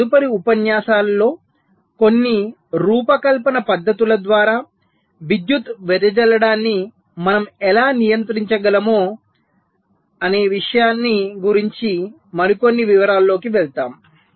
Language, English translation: Telugu, in our next lectures we shall be moving in to some more details about how we can actually control power dissipations by some design techniques